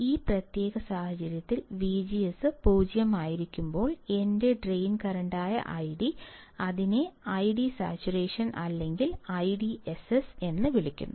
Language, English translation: Malayalam, And in this particular case when V G S equals to 0, , when my id that is my drain current which is a constant value; then it is called I D Saturation or I DSS